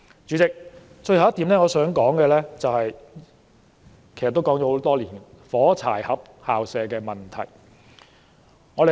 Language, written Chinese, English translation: Cantonese, 主席，最後一點我想說的，其實已經說了很多年，就是"火柴盒校舍"的問題。, President the last point I wish to raise and in fact I have talked about it for many years is the matchbox school premises